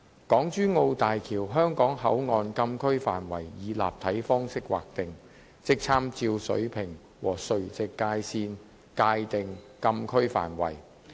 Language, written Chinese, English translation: Cantonese, 港珠澳大橋香港口岸禁區範圍以立體方式劃定，即參照水平和垂直界線界定禁區範圍。, The Closed Areas of HZMB HKP would be designated under the three - dimensional designation approach that is with reference to both horizontal and vertical boundaries